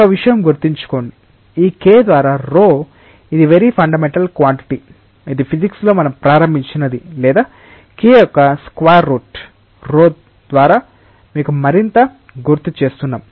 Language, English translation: Telugu, Remember one thing, that this K by rho it is something which is the very fundamental quantity, which we have started in physics what is this or square root of K by rho, if it reminds you more